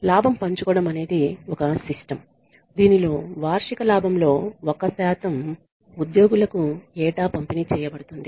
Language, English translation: Telugu, Profit sharing is a system in which the, a percentage of the annual profit is disbursed to the employees annually